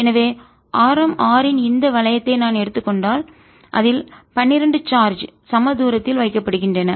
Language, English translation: Tamil, so if i take this ring of radius r, there are twelve charges placed on it at equal distances